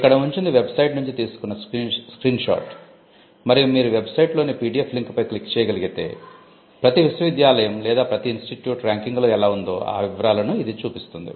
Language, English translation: Telugu, Now, this is a screenshot from the website and if you can click on the PDF link at the website, it will show the details of how each university or each institute fair in the ranking